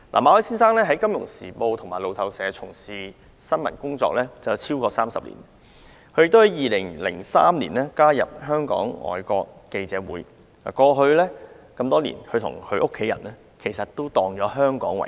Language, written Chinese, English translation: Cantonese, 馬凱先生在《金融時報》和路透社從事新聞工作超過30年，他在2003年加入外國記者會，多年來與家人以香港為家。, Mr Victor MALLET who joined FCC in 2003 has been a journalist of the Financial Times and Reuters from more than three decades . Over the years Hong Kong has been the home of his family